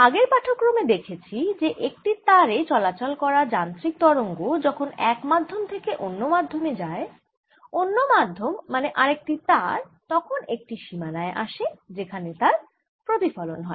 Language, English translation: Bengali, in the previous lecture we saw how when a mechanical wave coming on, a string goes from one medium to the other, the other media being another string, so that there is a boundary, there is a reflection